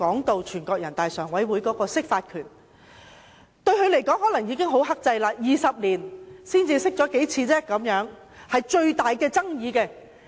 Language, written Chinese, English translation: Cantonese, 對人大常委會來說，它可能認為已很克制 ，20 年來只曾就最具爭議性的問題釋法數次。, NPCSC may consider that it has already been very restrained in exercising this power for it had only interpreted the Basic Law several times on the most controversial issues over the past 20 years